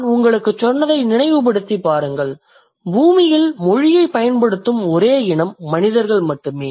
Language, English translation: Tamil, Because you remember I told you, the language, like the human beings are the only species on the earth which uses language